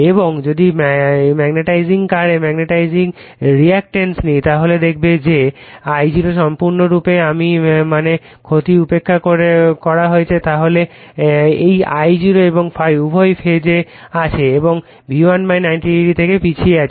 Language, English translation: Bengali, And if you take the magnetizing m call magnetizing reactance right x m then you will see that I0 is purely I mean loss is neglected then this I0 and ∅ both are in phase and lagging from V1 / 90 degree